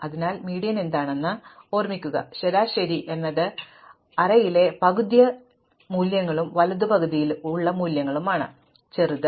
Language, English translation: Malayalam, So, remember what the median is, the median is the value such that exactly half the values in the array are bigger and half are smaller